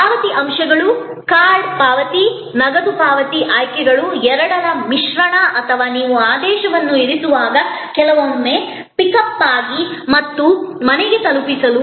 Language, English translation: Kannada, Payment elements, card payment, cash payment, options, mix of the two or sometimes when you are placing the order, beforehand just for pickup and bring home delivery